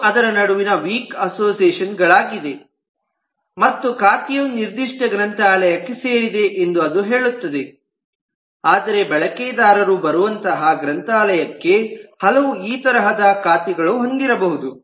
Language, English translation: Kannada, this is a weak association between them and it says that the account will belong to the specific library, but a library may have multiple such accounts where the users are coming in